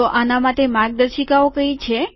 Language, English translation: Gujarati, So what are the guidelines